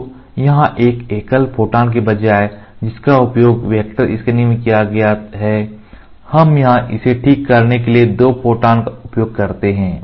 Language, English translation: Hindi, So, here instead of a single photon which is used in vector scan here we use two photons to cure it